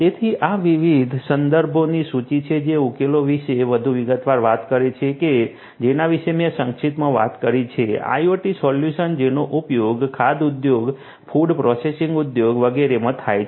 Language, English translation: Gujarati, So, these are a list of different references talking in more detail about the solutions that I have talked about briefly, IoT solutions that have been used in the food industry, food processing industry and so on